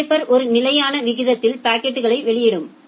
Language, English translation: Tamil, The shaper will output the packet at a constant rate